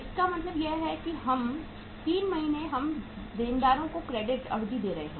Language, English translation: Hindi, It means 3 months we are giving the credit period to the debtors also